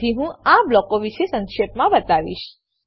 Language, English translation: Gujarati, So, I will be just briefing you about these blocks